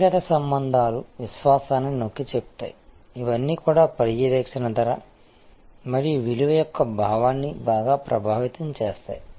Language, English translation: Telugu, The personal relationships stressed faith all this also can highly influence the monitory pricing and the sense of value